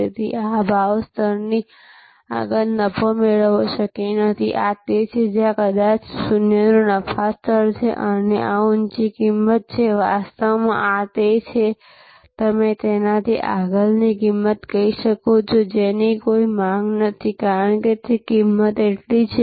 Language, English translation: Gujarati, So, it is not possible to profit beyond this price level, this is where a maybe the zero profit level and this is the high price, actually this is you can say a price beyond, which there is no demand, because a price is so high that even the premium positioning is no longer possible